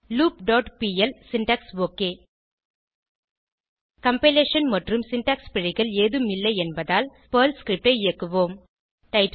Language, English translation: Tamil, loop dot pl syntax OK As there are no compilation or syntax errors, let us execute the Perl script